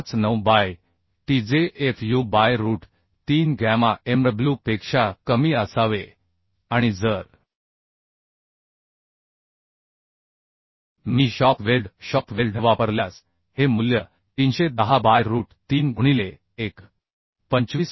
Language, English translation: Marathi, 59 by t which should be less than fu by root 3 gamma mw and these value will be 410 by root 3 into if I use shop weld then 1 point 25 gamma mw 189